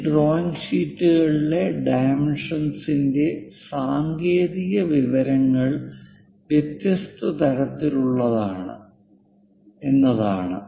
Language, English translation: Malayalam, This dimensioning of these drawing sheets are the technical information is of different kinds